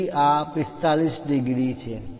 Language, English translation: Gujarati, So, this is 45 degrees